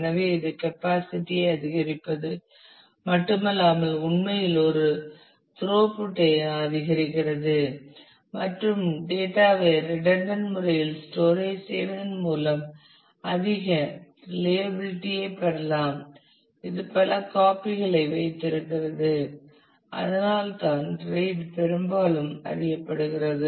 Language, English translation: Tamil, So, that not only increases capacity, but actually increases a throughput and you can get high reliability also by storing the data redundantly; that is keeping multiple copies and that is what RAID is often quite known for